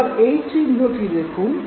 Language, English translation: Bengali, Now look at this very logo